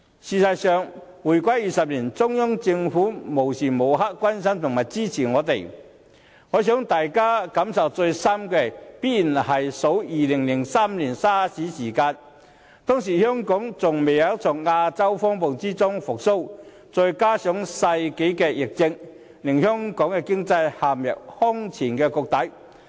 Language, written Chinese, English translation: Cantonese, 事實上，回歸20年，中央政府無時無刻都關心和支持我們，我想大家感受最深的，必然是在2003年 SARS 期間，當時香港仍未從亞洲金融風暴中復蘇，再加上世紀疫症，經濟陷入空前低谷。, As a matter of fact in the 20 years after the reunification the Central Government cares and supports us all the time . I guess the support rendered to us during the onslaught of SARS in 2003 was most impressive . At that time Hong Kong had not yet recovered from the Asian financial turmoil and coupled with the outbreak of the epidemic of the century the local economy was in the doldrums